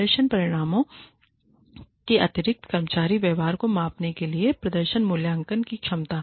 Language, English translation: Hindi, Ability of performance appraisals, to measure employee behaviors, in addition to performance outcomes